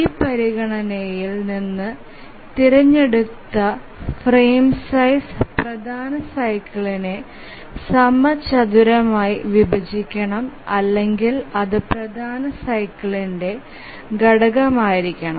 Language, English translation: Malayalam, From this consideration we require that the frame size that is chosen should squarely divide the major cycle or it must be a factor of the major cycle